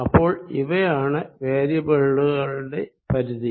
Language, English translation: Malayalam, so these are going to be the ranges of the variables